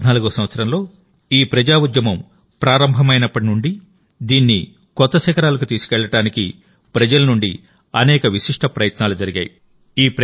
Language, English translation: Telugu, Since the inception of this mass movement in the year 2014, to take it to new heights, many unique efforts have been made by the people